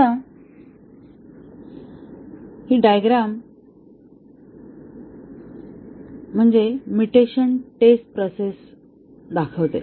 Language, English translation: Marathi, Now, this diagram shows the mutation testing process